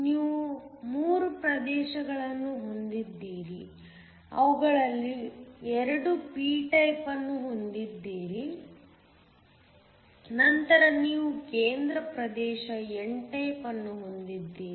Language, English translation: Kannada, So, you have 3 regions, you have 2 of them are p type, then you have a central region that is n type